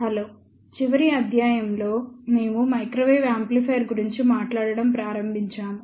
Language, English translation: Telugu, Hello, in the last lecture we had started talking about Microwave Amplifier